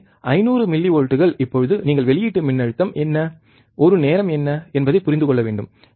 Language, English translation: Tamil, So, 500 millivolts now you have to understand what is the output voltage and what is a time